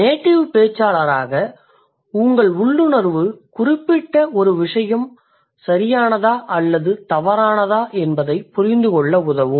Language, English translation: Tamil, Your intuition as a native speaker will help you to understand whether a particular thing is correct or incorrect